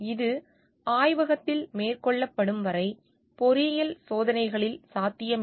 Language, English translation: Tamil, This may not be possible in engineering experiments until and unless they are carried out in laboratory